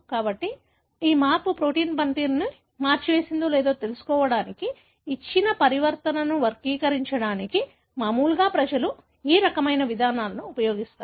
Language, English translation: Telugu, So, this is, routinely people use this kind of approaches to characterize a given mutation to see whether that change has altered the function of the protein